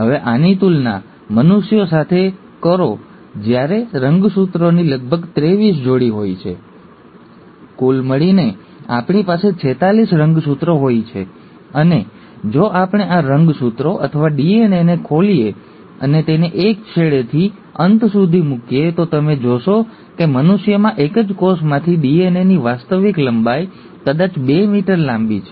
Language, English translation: Gujarati, Now compare this to humans where would have about twenty three pairs of chromosomes, in total we have forty six chromosomes, and if we were to unwind these chromosomes, or the DNA and put it together end to end in, let’s say, a lab, you will find that the actual length of DNA from a single cell in humans is probably two meters long